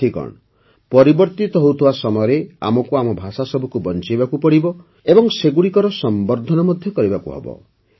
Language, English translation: Odia, Friends, in the changing times we have to save our languages and also promote them